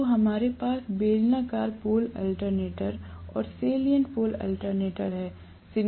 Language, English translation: Hindi, So, we have cylindrical pole alternators and salient pole alternators